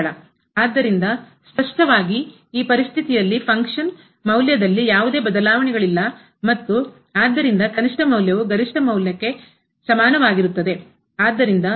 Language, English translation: Kannada, So, in this situation clearly there is no change in the function value and therefore, the minimum value is equal to the maximum value